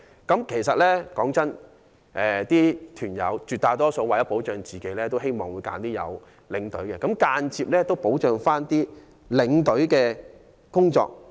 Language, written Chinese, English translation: Cantonese, 坦白說，絕大多數團友為了保障自己，都希望揀選有領隊的旅行團，這亦間接保障了領隊的工作。, Honestly speaking most tour members will prefer to join a tour group with a tour escort to safeguard their own interests . This preference has indirectly safeguarded the job opportunities of tour escorts